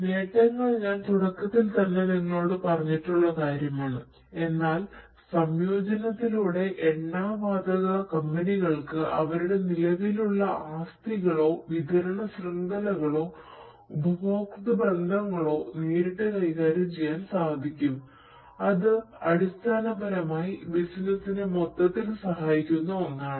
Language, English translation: Malayalam, The benefits is something that, I have already told you at the outset, but what is going to happen is through the integration the oil and gas companies would be able to directly manage their existing assets, supply chains or customer relationships and that basically will help the business overall